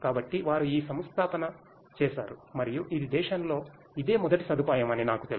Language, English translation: Telugu, So, they have done this installation and this is as far as I know of this is the first such facility in the nation